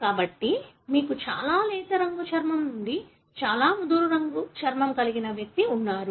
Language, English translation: Telugu, So, you have individual that have very, very fair skin to very dark skin